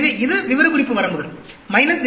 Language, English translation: Tamil, So, this specification limits, minus 0